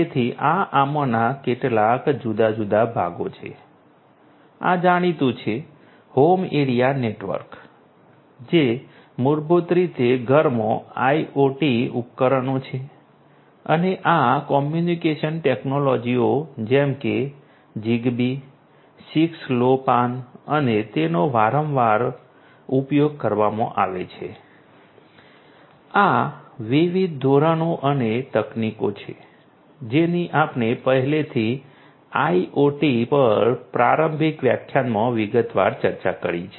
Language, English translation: Gujarati, So, these are some of these different parts this is the well known ones are home area network, which is basically IoT devices in the home and for these communication technologies like Zigbee, 6LoWPAN and are often used and these are these different standards and technologies that we have already discussed in detail in an introductory lecture on IoT